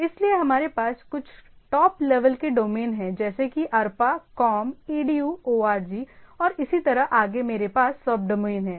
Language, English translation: Hindi, So, we have some of the top level domains like arpa, com, edu, org and so and so forth and then, under that, I have sub domains like suppose in India